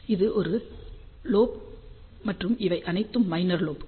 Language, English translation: Tamil, So, this is a major lobe and these are all the minor lobes are there